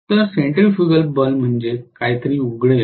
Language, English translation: Marathi, So centrifugal force is something will open it